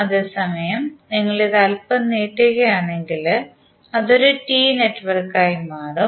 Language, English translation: Malayalam, At the same time, you could also, if you stretch it a little bit, it will become a T network